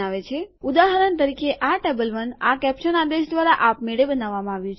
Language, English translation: Gujarati, For example, here table 1 has been created automatically by this caption command